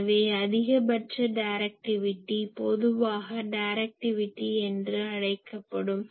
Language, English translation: Tamil, So, maximum directivity is often referred as simply directivity